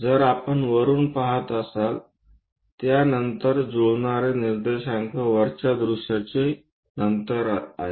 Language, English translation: Marathi, If we are looking from top, again that follows matched up coordinates top view